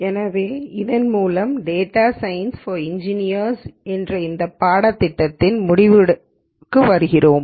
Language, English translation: Tamil, So, with this we come to the end of the course on Data Science for Engineers